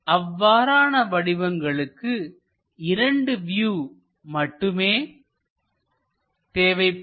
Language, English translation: Tamil, In that case, we just require two views only